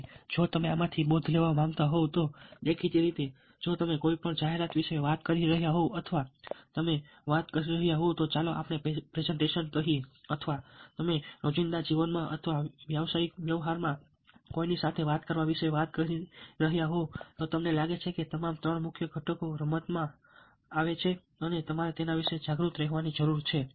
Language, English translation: Gujarati, now, if you want to take home lessons from this, obviously, if you are talking about an advertisement or you are talking about, lets say, presentation, or you are talking about talking to somebody in day today life or in a business transaction, i have a feeling that all the three major components will come in to play and you need to be aware of that